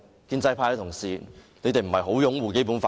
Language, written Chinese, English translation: Cantonese, 建制派的同事不是很擁護《基本法》嗎？, Isnt it true that pro - establishment colleagues firmly uphold the Basic Law?